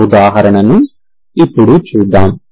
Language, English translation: Telugu, Let us see that example